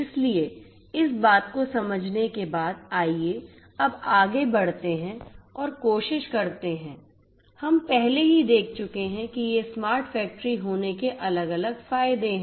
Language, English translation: Hindi, So, let us having understood this thing let us now proceed further and try to, we have already seen that these are the different benefits of having a smart factory